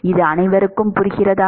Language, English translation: Tamil, Does everyone understand this